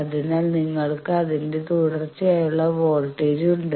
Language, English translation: Malayalam, So, and you have the voltage where its continuity